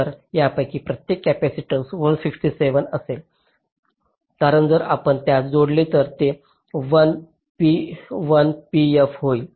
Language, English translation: Marathi, so each of this capacitance will be one, sixty seven, because if you add them up it will be one, p, f